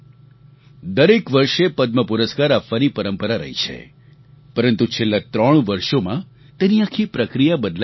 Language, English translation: Gujarati, There was a certain methodology of awarding Padma Awards every year, but this entire process has been changed for the past three years